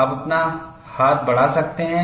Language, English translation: Hindi, You can raise your hand